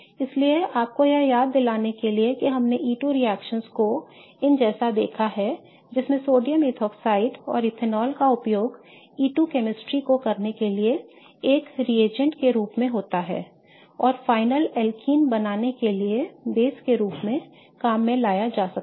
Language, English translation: Hindi, So, just to remind you, we have seen E2 reactions like these wherein sodium methoxide and ethanol can be used as a reagent to perform the E2 chemistry and to work as a base to form the final alkyene